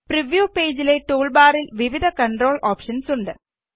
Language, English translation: Malayalam, There are various controls options in the tool bar of the preview page